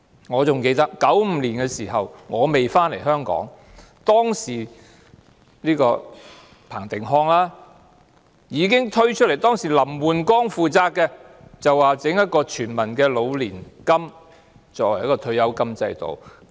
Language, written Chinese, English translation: Cantonese, 我還記得在1995年的時候——我當時還未返回香港——彭定康已經主張設立老年金計劃，作為全民的退休金制度，由林煥光負責。, I still remember that in 1995―I had not returned to Hong Kong yet―Chris PATTEN already advocated the establishment of an old age pension scheme as an universal retirement scheme which was placed in the charge of LAM Woon - kwong